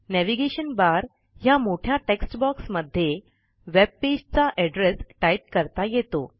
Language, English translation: Marathi, The Navigation bar is the large text box, where you type the address of the webpage that you want to visit